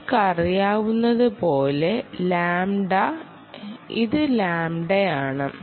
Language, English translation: Malayalam, um, as you know, this is lambda